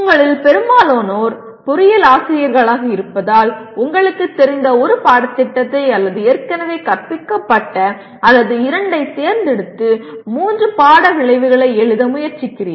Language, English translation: Tamil, As majority of you are engineering teachers, you pick the a course or two you are familiar with or taught already and try to write three course outcomes as such